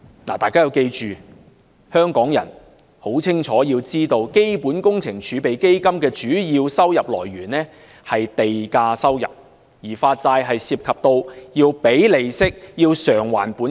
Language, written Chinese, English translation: Cantonese, "大家要記住，香港人亦要清楚知道，基本工程儲備基金的主要收入來源是地價收入，而發債則涉及支付利息和償還本金。, We should bear in mind and Hong Kong people should have a clear understanding that the main source of revenue of the Capital Works Reserve Fund CWRF is land premium while bond issuance involves payment of interest and repayment of principal